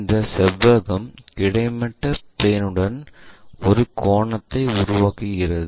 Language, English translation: Tamil, And this rectangle is making an angle with horizontal plane